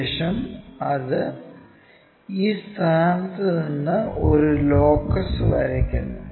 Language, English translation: Malayalam, After, that draw a locus from this point